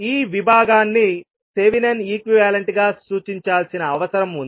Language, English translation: Telugu, So this particular segment needs to be represented as Thevanin equivalent